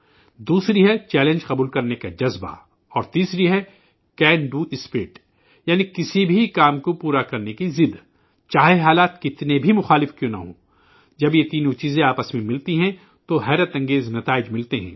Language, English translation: Urdu, The second is the spirit of taking risks and the third is the Can Do Spirit, that is, the determination to accomplish any task, no matter how adverse the circumstances be when these three things combine, phenomenal results are produced, miracles happen